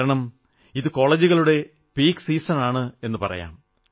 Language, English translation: Malayalam, This is the time which is Peak season for colleges